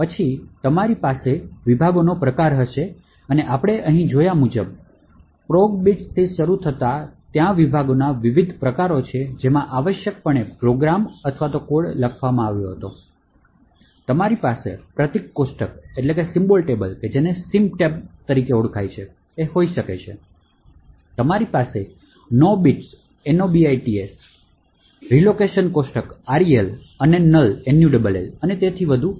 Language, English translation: Gujarati, Then you would have the type of the section and as we see over here, there are various types of the section from starting from programming bits which essentially contains the program or the code that was written, you could have symbol table, you have no bits the allocation table and null and so on